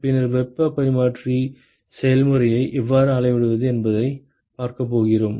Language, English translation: Tamil, Then we are going to look at how to quantify the heat exchange process